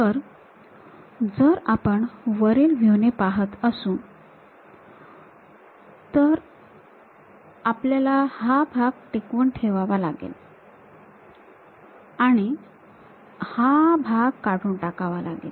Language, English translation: Marathi, So, if we are looking from top view retain this part, retain this part, remove this